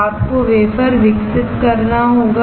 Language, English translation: Hindi, Now, you have to develop the wafer